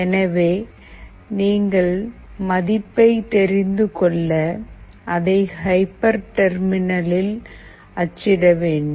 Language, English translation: Tamil, So, for that purpose you need to print the value in some hyper terminal